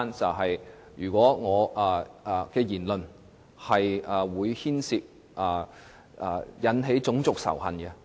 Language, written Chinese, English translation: Cantonese, 例如，我的言論可能引起種族仇恨。, For instance my remarks may induce racial hatred